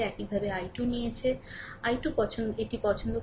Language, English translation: Bengali, We have taken i 2 like this; i 2 like this